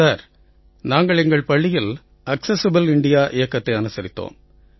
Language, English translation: Tamil, "Sir, we celebrated Accessible India Campaign in our school